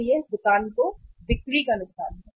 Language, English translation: Hindi, So it is a loss of sale to the store